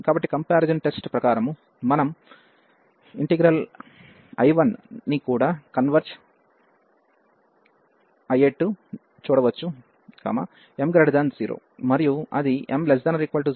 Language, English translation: Telugu, So, as per the comparison test our integral I 1 will also converge, when m is greater than 0; and it will diverge, when m is less than or equal to 0